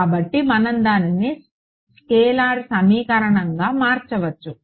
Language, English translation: Telugu, So, we can convert it into a scalar equation